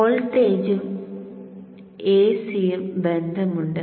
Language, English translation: Malayalam, The voltage and AC can be related